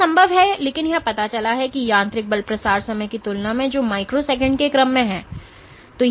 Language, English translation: Hindi, That is possible of course but what it turns out that compared to the mechanical force propagation time scales which in the order of microseconds